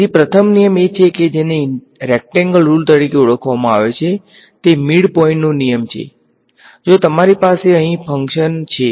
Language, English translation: Gujarati, So, the first rule of course is the what is called as the; is called the rectangle rules, its the midpoint rule that if I have some function over here